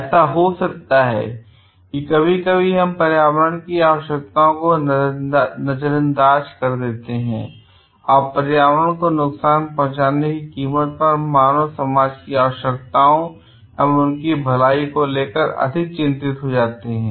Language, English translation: Hindi, It may so happen sometimes we overlook the needs of the environment and become more concerned of the wellbeing or the needs of the human being at the cost of like providing harm to the environment